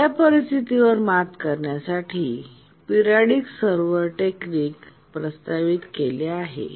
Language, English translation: Marathi, To overcome this situation, the periodic server technique has been proposed